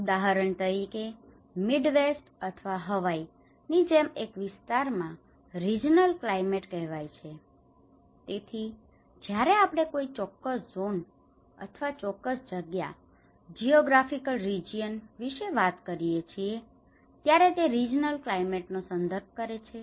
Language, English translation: Gujarati, For instance, the climate in the one area like the Midwest or Hawaii is called a regional climate so, when we talk about a particular zone or a particular area, geographical region, it is refers to the regional climate